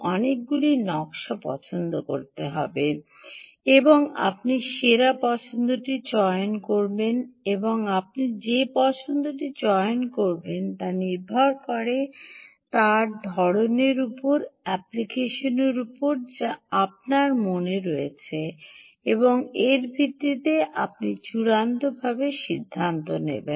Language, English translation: Bengali, so when you say design, you must have many choices, many design choices, and you pick the best choice, and the choice, the way you pick, will depend on the kind of application that you have in mind and, based on that is what you would ultimately decide